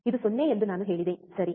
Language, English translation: Kannada, I said this is 0, right